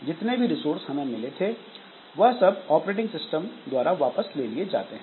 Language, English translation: Hindi, So all the resources that we had, so that is taken back by the operating system